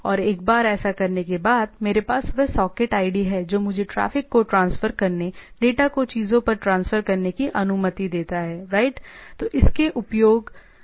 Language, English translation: Hindi, And once that is done, I have that socket id which allows me to transfer traffic, transfer the data over the things, right